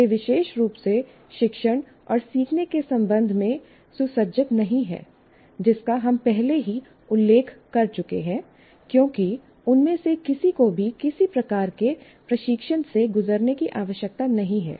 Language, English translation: Hindi, And they're ill equipped, particularly with respect to teaching and learning, which we have already mentioned because none of them need to undergo any kind of train